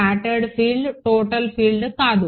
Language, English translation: Telugu, Scattered field, not the total field